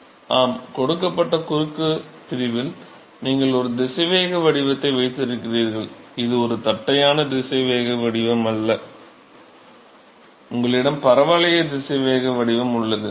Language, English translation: Tamil, Yeah that at a given cross section you have a velocity profile, it is not a flat velocity profile you have a parabolic velocity profile